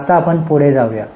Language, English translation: Marathi, Now let us go ahead